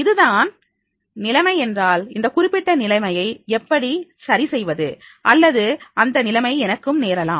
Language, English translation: Tamil, If this is the situation, how I can resolve this particular situation or the situation may occur to me also